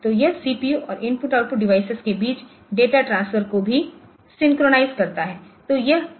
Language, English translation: Hindi, So, it also synchronize data transfer between the CPU and IO device